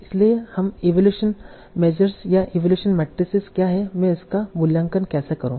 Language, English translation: Hindi, So for that, we need to talk about what are the various evaluation measures or evaluation matrix